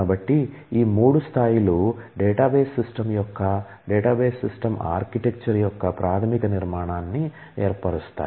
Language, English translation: Telugu, So, these are three levels form the basic structure of a database system architecture of a database system